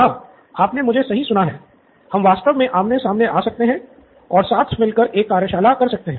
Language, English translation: Hindi, Yes, you heard me right you can actually come face to face we can have a workshop together